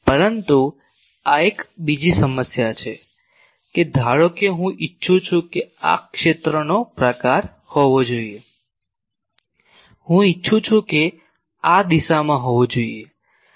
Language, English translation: Gujarati, But there is another problem that suppose I want that this should be the type of field, I want that at this direction there should be